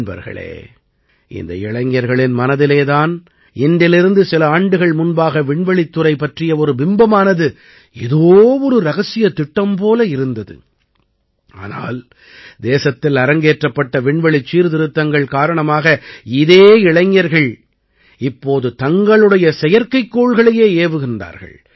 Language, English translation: Tamil, Friends, these are the same youth, in whose mind the image of the space sector was like a secret mission a few years ago, but, the country undertook space reforms, and the same youth are now launching their own satellites